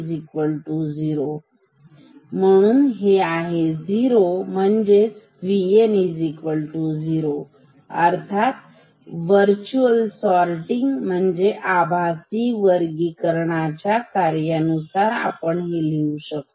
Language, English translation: Marathi, Since V 2 equal to 0 and this is also equal to 0; so, that means, V N will also be equal to 0, because we know for this circuit, virtual sorting works we have seen that